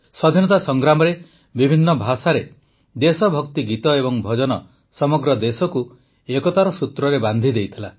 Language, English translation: Odia, During the freedom struggle patriotic songs and devotional songs in different languages, dialects had united the entire country